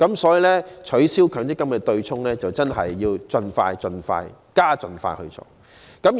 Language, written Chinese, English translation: Cantonese, 所以，取消強積金對沖機制真的要盡快、加快進行。, In the light of this the abolition of the offsetting arrangement must really be expedited